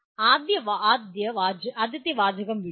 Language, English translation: Malayalam, Leave the first phrase